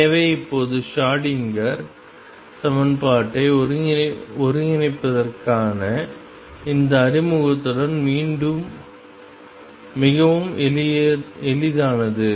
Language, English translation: Tamil, So, now, with this introduction to integrate the Schrodinger equation becomes quite easy